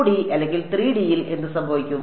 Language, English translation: Malayalam, What will happen in 2D or 3D